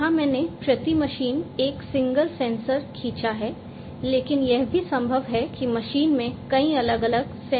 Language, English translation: Hindi, Here I have drawn a single sensor per machine, but it is also possible that a machine would have multiple different sensors